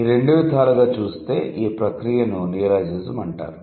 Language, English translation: Telugu, In both ways the process is called as neologism